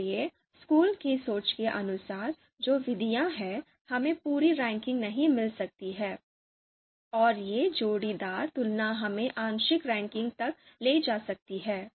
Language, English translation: Hindi, So under the outranking school of thought the methods that are there, we might not get the complete ranking, you know these pairwise comparison might lead us to partial ranking